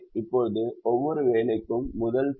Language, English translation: Tamil, now the first constraint is for every job